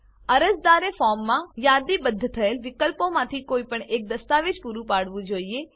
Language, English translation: Gujarati, Applicants must furnish any one document from the options listed in the form